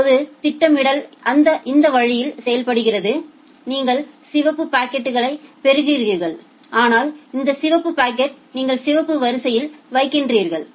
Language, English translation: Tamil, Now, the scheduling works in this way, say if you are receiving a red packet then this red packet you put it in the red queue ok